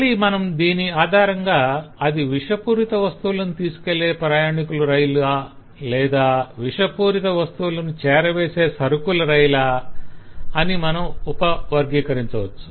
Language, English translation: Telugu, again, if we do based on this, then we can sub classify that is it a passenger train which carries toxic goods or is it a goods train which carries toxic goods